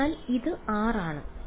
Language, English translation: Malayalam, So, this is r and this is r ok